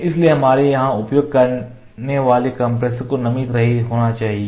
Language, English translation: Hindi, So, the compressor that we have to use here has to be moisture free